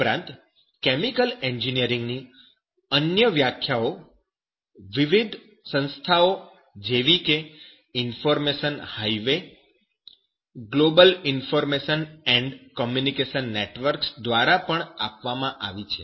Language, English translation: Gujarati, Even other definitions of the chemical engineering given by different organizations like in that as per information highway that Global Information and Communication networks